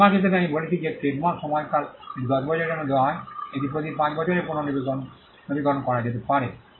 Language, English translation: Bengali, Trademarks as I said trademarks the duration is it is granted for 10 years it can be renewed every 5 years